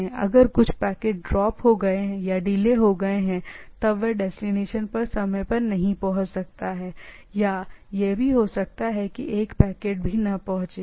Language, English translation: Hindi, So, once some packet may get dropped or delayed may not reach the things on time or even may not reach at all